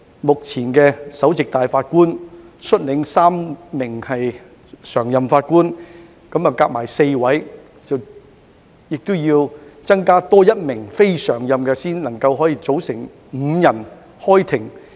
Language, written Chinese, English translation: Cantonese, 目前，由首席法官率領3名常任法官，一共4人，再另加1名非常任法官才能夠組成5人開庭。, At present CFA is headed by the Chief Justice and has three permanent judges . As CFA sits as a bench of five the four of them sit together with one non - permanent judge to constitute the full Court